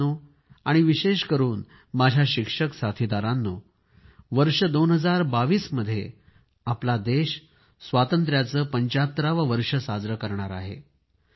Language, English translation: Marathi, Friends, especially my teacher friends, our country will celebrate the festival of the 75th year of independence in the year 2022